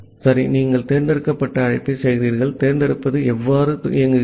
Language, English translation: Tamil, Ok then you make the select call so, how select works